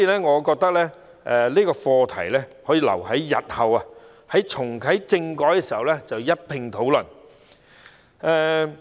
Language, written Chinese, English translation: Cantonese, 我認為有關課題可以留待日後重啟政改時一併討論。, In my view we can discuss this topic when constitutional reform is reactivated in future